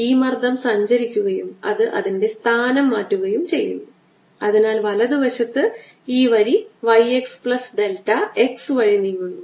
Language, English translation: Malayalam, special propagation is also change its position, so that on the right hand side this line moves by y x plus delta x, and pressure out here changes by delta p plus some delta